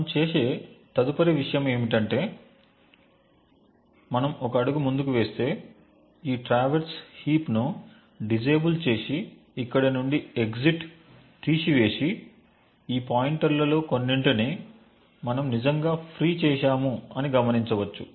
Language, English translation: Telugu, The next thing we do is we go one step further, we can disable this traverse heap remove the exit from here and notice that we have actually freed a couple of these pointers